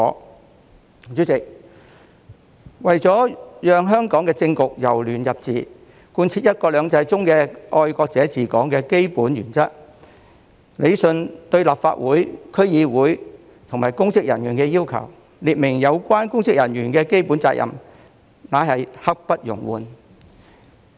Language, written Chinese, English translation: Cantonese, 代理主席，為了讓香港的政局由亂入治，貫徹"一國兩制"中"愛國者治港"的基本原則，理順對立法會、區議會及公職人員的要求，列明有關公職人員的基本責任，皆是刻不容緩。, Deputy President in order to halt chaos and restore order in Hong Kong and implement the basic principle of patriots administering Hong Kong under one country two systems it brooks no delay to rationalize the requirements for the Legislative Council DCs and public officers and set out the basic responsibilities of the public officers